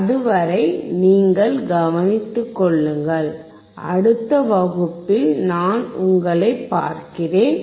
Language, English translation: Tamil, Till then, you take care, I will see you next class, bye